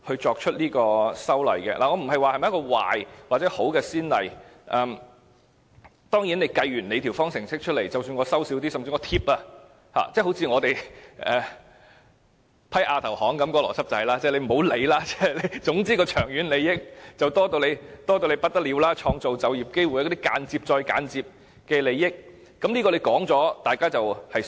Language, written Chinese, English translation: Cantonese, 我沒有說這是壞先例或好先例，當然，當局說計完方程式後，即使少收一些，甚至補貼——正如我們通過亞投行的邏輯一樣——不要理會，總之長遠利益非常多，還有創造就業機會等間接再間接的利益，當局說完之後，大家只有相信。, I do not say the precedent is good or bad . Anyway the authorities have told us that there is no need to pay attention to the reduced revenue income or possible provision of subsidies after applying the formula as we are set to be tremendously benefited in the long run including the indirectly indirect benefits of creating job opportunities and so on―the same logic it has pursued in the passage of the Asian Infrastructure Investment Bank issue . We can only trust what the authorities have said